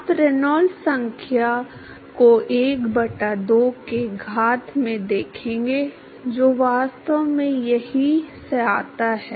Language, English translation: Hindi, You will see Reynolds number to the power of 1 by 2 that actually comes from here